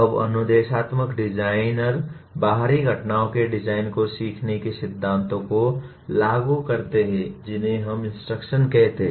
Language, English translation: Hindi, Now instructional designers apply the principles of learning to the design of external events we call instruction